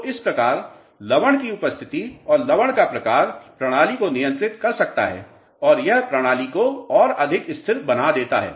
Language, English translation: Hindi, So, this is how presence of salts and the type of the salts can control the system and it makes system more you know stable